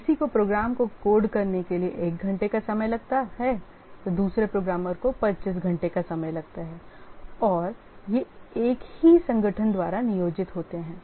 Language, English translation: Hindi, Somebody who takes one hour to code a program, the other programmer takes 25 hours and these are employed by the same organization